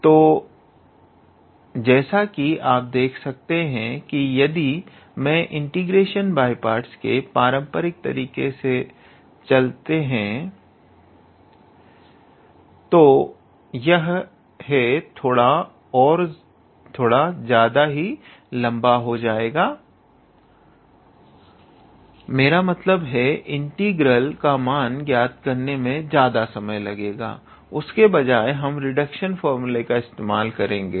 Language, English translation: Hindi, So, as you can see if I go with the traditional integration by parts formula, then this will be a little bit how to say extensive in a way I mean it will require some time to calculate this integral, instead we will use the reduction formula